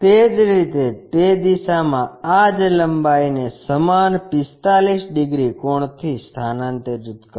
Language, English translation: Gujarati, Similarly, transfer that length in this direction with the same 45 degrees angle